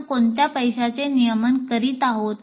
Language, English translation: Marathi, What aspect are we regulating